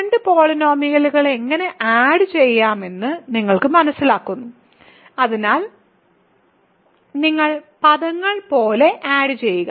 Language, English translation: Malayalam, So, you understand how to add two polynomials, so you simply add like terms